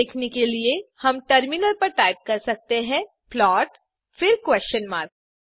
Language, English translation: Hindi, To see that we can type in the terminal plot then question mark